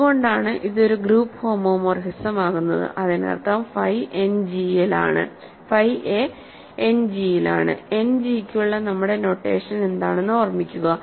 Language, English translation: Malayalam, So, these are this is why it is a group homomorphism; that means, phi a is in End G, remember what is our notation for End G